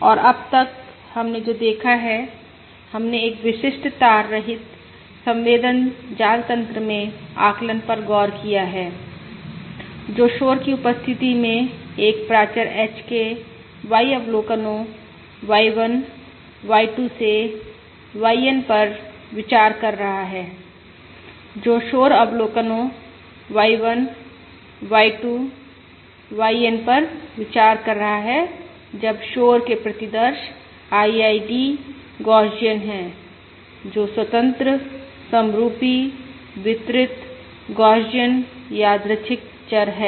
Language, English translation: Hindi, we have looked at the estimation estimation, ah in a typical wireless sensor network, considering N observations Y1, Y2 to YN of a parameter H in the presence of noise, that is, considering noisy observations Y1, Y2, YN, when the noise, when the noise samples are IID, Gaussian, that is, independent, identically distributed Gaussian, random variables